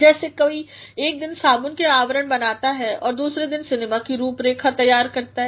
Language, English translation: Hindi, How does one design soap wrappings one day and set the contours of a celluloid saga the next day